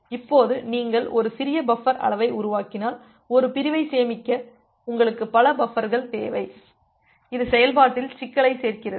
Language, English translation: Tamil, Now if you make a small buffer size, then you need multiple buffers to store a single segment which adds the complexity in the implementation